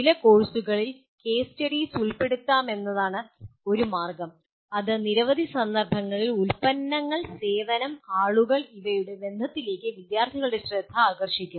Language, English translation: Malayalam, One of the ways is case studies can be incorporated in some courses that will bring the attention of students to products service people relationship in a number of contexts